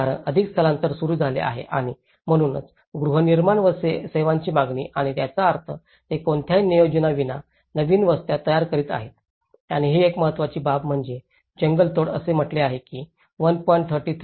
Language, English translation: Marathi, Because the more migration has started coming up and that is where the demand of housing and services and which means they are forming new settlements without any previous planning and this is one of the important aspect is deforestation, it says 1